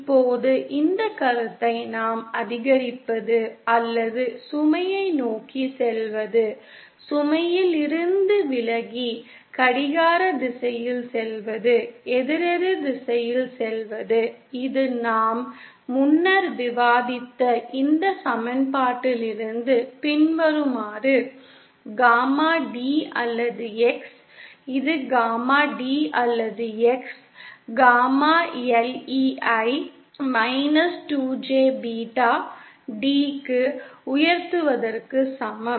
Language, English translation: Tamil, Now this is the concept we had this concept of this increasing or going towards the load, away from the load, going clockwise, anticlockwise this follows from this equation that we had earlier discussed about, the gamma D or X, whether its gamma D or X is equal to gamma L E raise to minus 2 J beta D